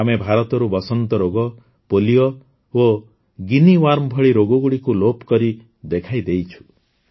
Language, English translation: Odia, We have eradicated diseases like Smallpox, Polio and 'Guinea Worm' from India